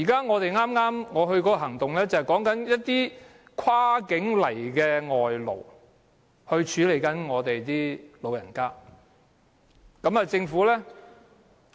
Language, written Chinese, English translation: Cantonese, 我剛剛出席的行動，便是關於一些跨境來港處理我們老人問題的外勞。, The protest action that I participated just now involves imported workers who cross the boundary to deal with our elderly problem